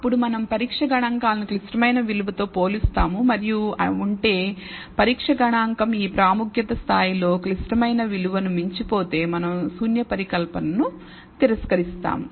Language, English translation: Telugu, Then we compare the test statistic with the critical value and if the test statistic exceeds the critical value at this level of significance ,then we reject the null hypothesis